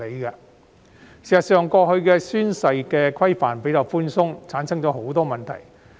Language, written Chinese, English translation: Cantonese, 事實上，過去的宣誓規範較為寬鬆，導致很多問題產生。, In fact previous requirements on oath - taking were quite lenient and have given rise to many problems